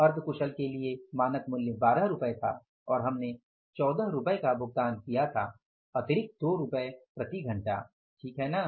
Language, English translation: Hindi, Standard price was 12 in case of semi skilled we have paid 14, 2 rupees extra per hour, right